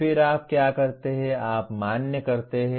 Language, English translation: Hindi, Then what you do, you validate